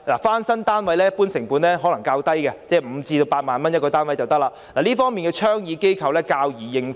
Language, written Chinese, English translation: Cantonese, 翻新單位一般成本較低 ，1 個單位約需5萬元至8萬元，這方面倡議機構較易應付。, In general renovation costs are lower . At about 50,000 to 80,000 per unit they can be borne by the proposing organization more easily